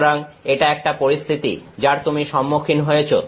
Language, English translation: Bengali, So, this is a situation that you have face